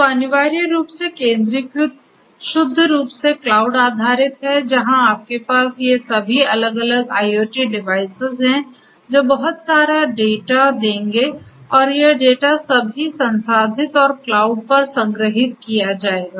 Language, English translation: Hindi, So, centralized essentially is purely cloud based where you have all these different IIoT devices which will throw in lot of data and this data will all be processed and stored storage at the cloud right so, this is your centralized